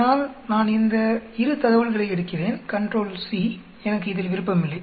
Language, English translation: Tamil, So I take these 2 data, control c, I am not interested in this